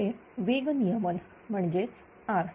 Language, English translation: Marathi, Next is this is the speed regulation that is R